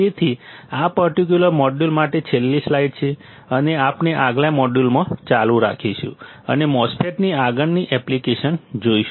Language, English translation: Gujarati, So, this is the last slide for this particular module and we will continue in the next module and see the further application of the MOSFET